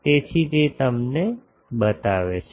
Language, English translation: Gujarati, So, that shows you the thing